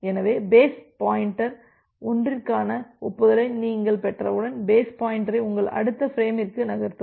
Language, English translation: Tamil, So once you have received acknowledgement for base one this one, then you move the base pointer to your next frame